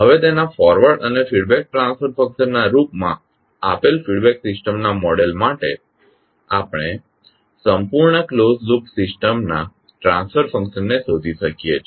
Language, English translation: Gujarati, Now given the model of the feedback system in terms of its forward and feedback transfer function we can determine the transfer function of the complete closed loop system